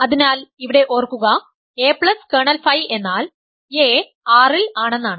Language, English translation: Malayalam, So, here remember a plus kernel phi means a is in R